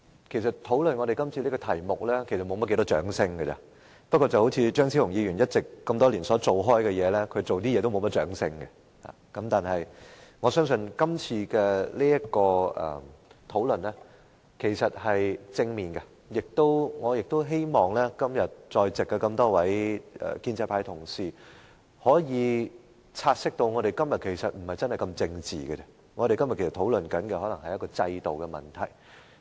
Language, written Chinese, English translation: Cantonese, 其實，討論今天這議題是不會獲得多少掌聲的，但正如張超雄議員多年來的工作般，他所做的事情也不會獲得很多掌聲，但我相信今天這項討論是正面的，亦希望今天在席的建制派議員，可以察悉我們今天的討論並不是很政治化，而是想討論制度的問題。, But as in the case of Dr Fernando CHEUNGs devotion to his work over all these years he will not receive much applause for his efforts either . Nevertheless I believe our discussion today will yield positive results . I also hope that pro - establishment Members who are present here today can realize that our discussion today is not quite so much of a political nature and we wish to discuss systemic problems instead